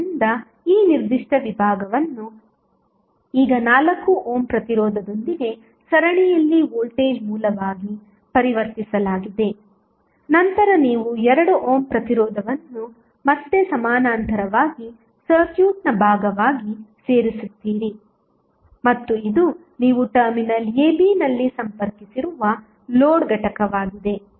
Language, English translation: Kannada, So, this particular segment is now converted into voltage source in series with 4 ohm resistance then you add 2 ohm resistance that is the part of the circuit in parallel again and this is the load component which you have connected at terminal a, b